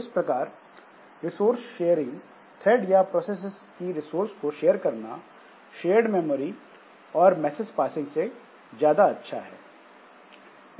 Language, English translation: Hindi, Then the resource sharing, threads share resources of process easier than the shared memory or message passing